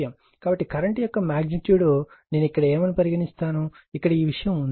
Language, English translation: Telugu, So, magnitude of the current I your what you call here one, here one this thing is there